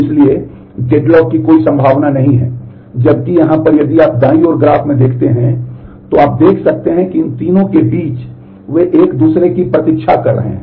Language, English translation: Hindi, So, there is no possibility of a deadlock, whereas in here if you look in the graph on right, then you can see that between these three they are waiting on each other